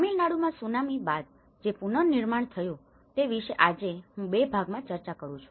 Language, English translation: Gujarati, Today, I am going to discuss about Tsunami Reconstruction in Tamil Nadu in two parts